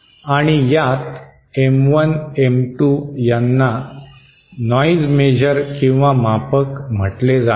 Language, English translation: Marathi, And these quantities, M1, M2 are called noise measure